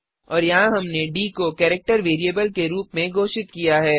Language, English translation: Hindi, And here we have declared d as a character variable